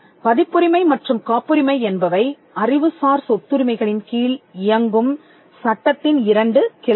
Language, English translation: Tamil, Copyright and patent are 2 branches of law under intellectual property rights